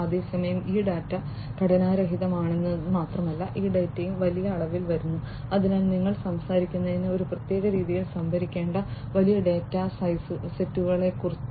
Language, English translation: Malayalam, And at the same time not only that these data are unstructured, but also this data come in huge volumes, so you are talking about huge datasets that will have to be stored in certain way